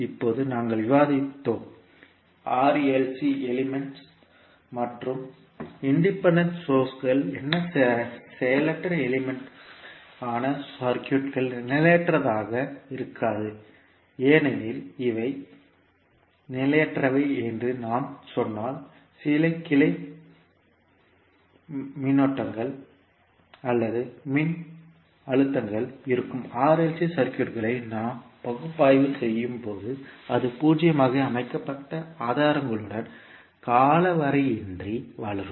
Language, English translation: Tamil, Now we also discussed that, the circuits which are made up of passive elements that is R, L, C elements and independent sources will not be unstable because if we say that these can be unstable that means that there would be some branch currents or voltages which would grow indefinitely with sources set to zero, which generally is not the case, when we analyze the R, L, C circuits